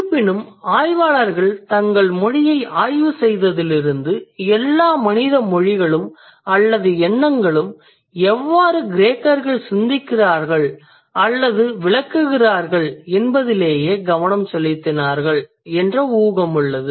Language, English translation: Tamil, However, the scholars, since they studied their language, there was an assumption that all the human languages or all the human thoughts that's kind of concentrated on how the Greeks think or how the Greeks interpret